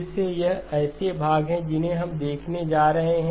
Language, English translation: Hindi, Again these are the parts that we are going to be looking at